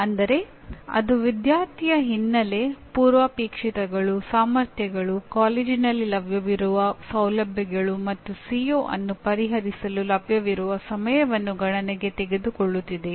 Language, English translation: Kannada, That means do they take into account the student’s background, prerequisite, competencies, the facilities available in the college and time available to address the CO